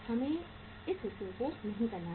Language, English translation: Hindi, We are not to do this part